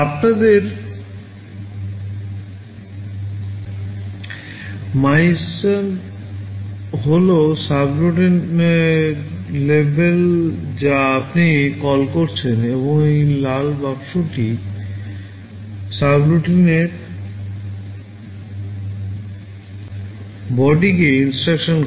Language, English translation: Bengali, Let us say MYSUB is the label of the subroutine you are calling and this red box indicates the body of the subroutine